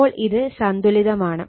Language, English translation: Malayalam, So, this is balanced